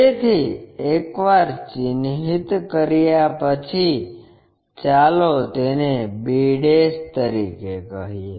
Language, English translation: Gujarati, So, once we mark let us call that as b'